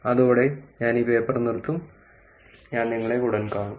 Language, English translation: Malayalam, With that I will stop this paper; I will see you soon